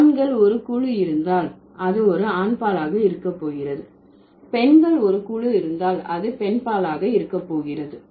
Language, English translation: Tamil, If there are a group of boys then it's going to be masculine, if there are a group of girls it is going to be feminine